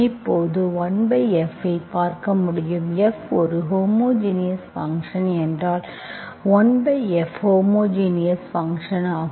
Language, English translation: Tamil, Now you can see 1 by F, if F is a homogenous function, 1 by F is also a homogenous function